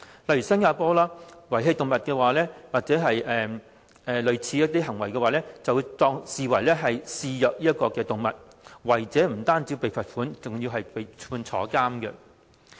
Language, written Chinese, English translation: Cantonese, 例如新加坡，遺棄動物或類似行為，都會視為虐待動物，違者不單被罰款，更會被判監禁。, In Singapore for example pet abandonment or similar behaviours are regarded as animal cruelty and the perpetrator will not only be fined but liable to imprisonment